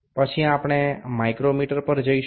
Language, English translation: Gujarati, Then we will move to the micrometer